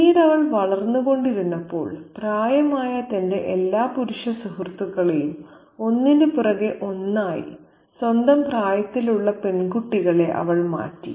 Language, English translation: Malayalam, Then, as she continued to grow up, she replaced all her elderly male friends one after another with girls of her own age